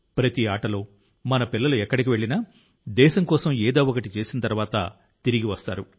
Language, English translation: Telugu, In every game, wherever our children are going, they return after accomplishing something or the other for the country